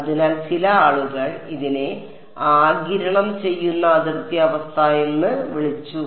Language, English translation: Malayalam, So, that is why some people called it absorbing boundary condition